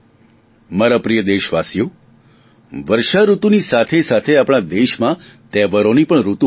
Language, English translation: Gujarati, My dear countrymen, with the onset of rainy season, there is also an onset of festival season in our country